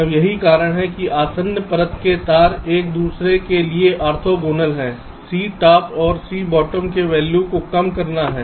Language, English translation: Hindi, the reason why adjacent layer wires are orthogonal to each other is to reduce the values of c top and c bottom